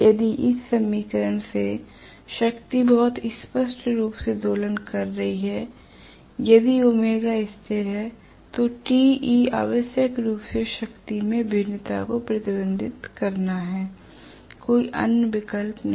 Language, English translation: Hindi, If the power is oscillating very clearly from this equation if omega is a constant Te has to necessarily reflect the variations in the power, there is no other option